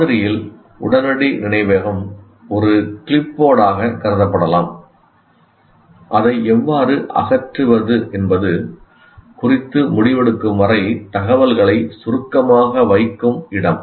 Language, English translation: Tamil, Okay, immediate memory in the model may be treated as a clipboard, a place where information is put briefly until a decision is made, how to dispose it off